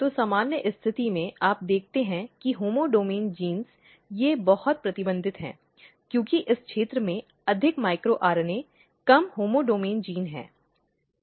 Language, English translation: Hindi, So, in normal condition what you see that homeodomain genes, the they are very restricted, because this region have more micro RNA, less homeodomain gene